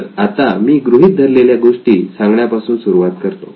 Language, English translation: Marathi, So I will start with stating the assumptions